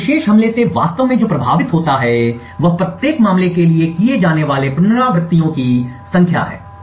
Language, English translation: Hindi, Now what actually is affected by this particular attack is the number of iterations that are done for each case